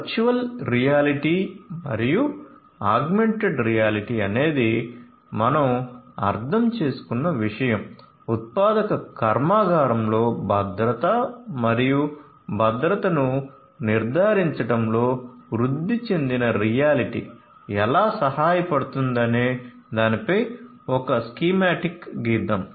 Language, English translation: Telugu, So, virtual reality and augmented reality is something that we have understood, but let me show you, let me draw a schematic of how augmented reality would help in ensuring safety and security in a manufacturing plant